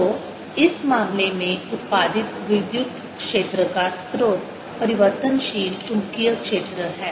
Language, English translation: Hindi, so in this case is a source of electric field that is produced is the changing magnetic field and the curl e is zero